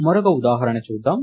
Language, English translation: Telugu, Lets look at another example